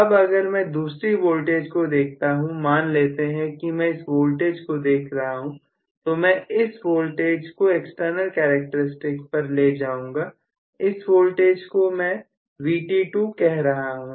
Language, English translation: Hindi, Now, if I look at another voltage, maybe I just want to look at this voltage, so I am going to take this as the voltage which is being you know taken off to the external characteristics, so let me call this voltage as Vt2